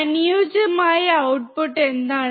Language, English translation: Malayalam, what is the ideal output